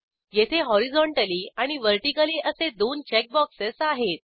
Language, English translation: Marathi, Here we have two check boxes Horizontally and Vertically